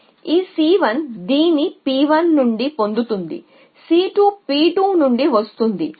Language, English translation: Telugu, So, this c 1 gets this from p 1 an c 2 gets this from p 2